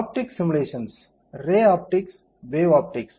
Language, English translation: Tamil, Optic simulations, ray optics, wave optics